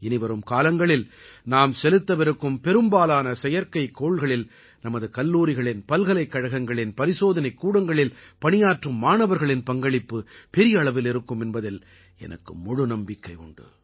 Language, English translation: Tamil, And I firmly believe that in the coming days, a large number of satellites would be of those developed by our youth, our students, our colleges, our universities, students working in labs